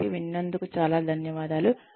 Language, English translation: Telugu, So, thank you very much, for listening